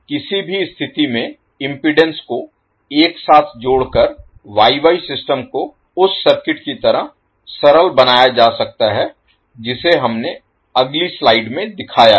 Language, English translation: Hindi, In any event by lumping the impedance together, the Y Y system can be simplified to that VF to that circuit which we shown in the next slide